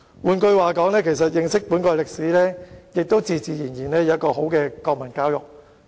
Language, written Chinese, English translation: Cantonese, "換句話說，只要令國民認識本國歷史，自然有好的國民教育。, In other words as long as our people understand the history of our country we naturally have good national education